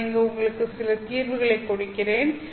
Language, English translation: Tamil, I will just give you the solution here